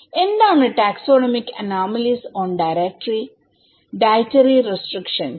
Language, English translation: Malayalam, Now, what is taxonomic anomalies on dietary restrictions